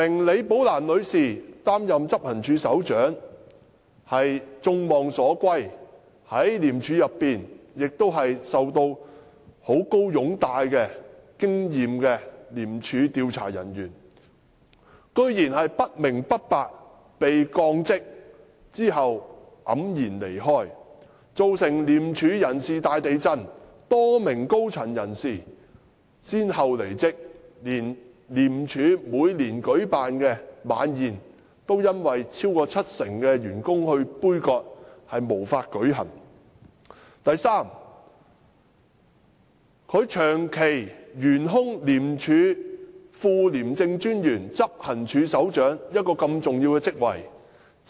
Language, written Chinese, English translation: Cantonese, 李女士功勳卓著，是一位在廉署內極受擁戴而富有經驗的廉署調查人員，由她出任執行處首長實是眾望所歸，但她竟不明不白地被降職，最終黯然離開，造成廉署大地震，多名高層人士相繼離職，就連廉署的周年晚宴也因此遭超過七成的員工杯葛，結果無法舉行；第三，白韞六竟容許廉署副廉政專員/執行處首長這個重要職位長期懸空。, Her departure had caused turmoil within ICAC where numerous higher - ups left one after the other . Besides more than 70 % of the staff boycotted ICACs annual staff dinner which had to be cancelled as a result . Third Simon PEH has allowed the long standing vacancy situation of the essential post of ICACs Operations Department Deputy CommissionerHead of Operations to go on